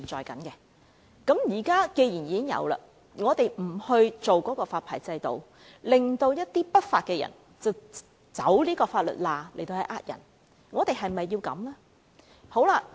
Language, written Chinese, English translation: Cantonese, 既然現在已有這些機構和公司，但我們卻不設立發牌制度，致令一些不法分子走法律罅來行騙，我們是否要這樣呢？, Given that these institutions and companies are in operation yet we do not establish a licensing regime certain illegal elements have taken the advantage of loopholes in law to commit fraud . Do we want it this way?